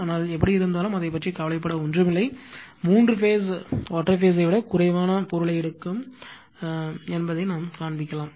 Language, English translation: Tamil, But, anyway nothing to bother about that, we will show that three phase what you call takes less material material than the your single phase